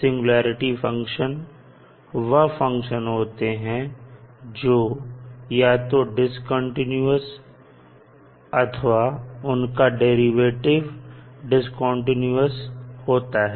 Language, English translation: Hindi, Singularity functions are those functions that are either discontinuous or have discontinuous derivatives